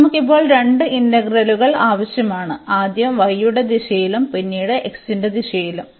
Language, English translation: Malayalam, So, we need to have two integrals now; so, in the direction of y first and then in the direction of x